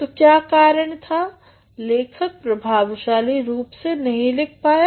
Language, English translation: Hindi, So, what was the reason was that the writer failed as writing effectively